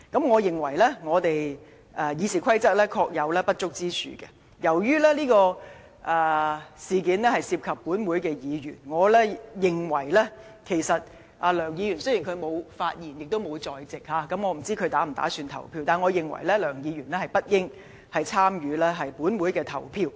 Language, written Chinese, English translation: Cantonese, 我認為《議事規則》確有不足之處，因為此事涉及立法會議員，雖然梁議員沒有發言，也不在席，亦不知道他稍後是否打算投票，但我認為梁議員不應該參與本會的投票。, I admit that RoP has shortcomings as the issue under discussion involves a Member of the Legislative Council . Although Mr LEUNG has not spoken or attended the meeting neither do we know whether he is going to vote later on I opine that he should not take part in the voting